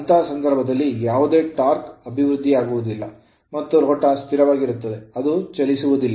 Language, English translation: Kannada, So, in this case you are there no torque developed and the rotor continues to be stationary